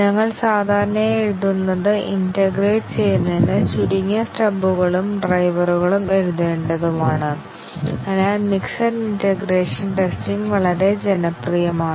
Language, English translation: Malayalam, And we would typically write, we will typically integrate such that we need less number of stubs and drivers to be written and therefore, mixed integration testing is quite popular